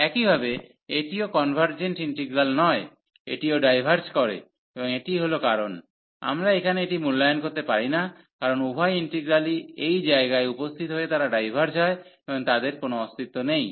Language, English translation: Bengali, Similarly, this is also not in convergent integral, this also diverges and that is the reason, we cannot evaluate this here, because both the integrals appearing at this place they diverges and they do not exist